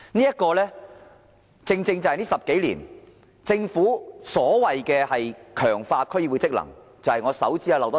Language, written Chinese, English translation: Cantonese, 這正正就是過去10多年來，政府所謂強化區議會職能的做法。, This is the approach adopted by the Government in the past decade or so in strengthening so to speak the functions of DCs